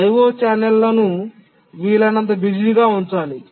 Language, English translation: Telugu, O channels need to be kept busy as possible